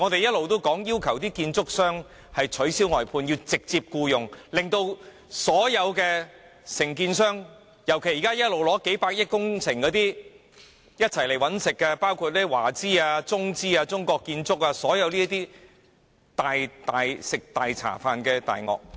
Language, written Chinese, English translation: Cantonese, 事實上，我們一直要求建築商取消外判安排，要直接僱用工人，確保所有承建商不能逃避責任，尤其是現時取得數百億元工程，一同來"搵食"的華資、中資、中國建築等這類"食大茶飯的大鱷"。, In fact we have been urging construction contractors to abolish the outsourcing arrangement and employ workers direct . For this can ensure that all contractors cannot shirk their responsibility particularly for those which have obtained projects valued at tens of billion dollars that is Chinese companies China - affiliated companies and China construction companies coming here to reap profits just like big predators targeting a great meal